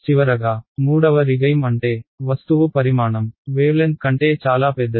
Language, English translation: Telugu, And finally the third regime is where the object size is much larger than the wavelength